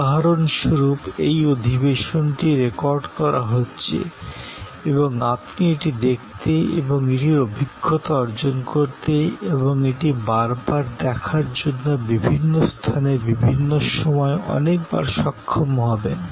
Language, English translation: Bengali, Like for example, this session is being recorded and you would be able to see it and experience it and view it again and again, number of times, at a different place, different time frame